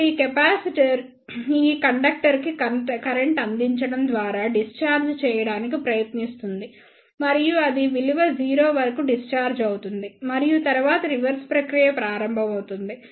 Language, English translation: Telugu, Then this capacitor will try to discharge by providing current to this inductor and then it will discharge up to the value 0 and then the reverse process will start